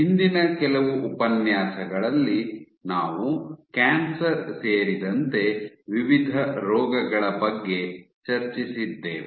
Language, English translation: Kannada, In the last few lectures we discussed about various diseases including cancer ok